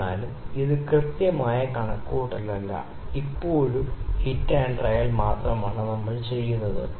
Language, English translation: Malayalam, However, this is not the exact calculation we have just made a hit and trial method